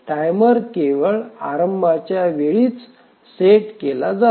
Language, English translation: Marathi, The timer is set only at the initialization time